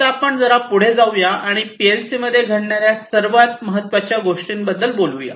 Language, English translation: Marathi, Now, let us go little further and talk about the different, the most important thing that happens in a PLC